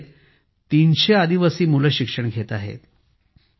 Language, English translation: Marathi, 300 tribal children study in this school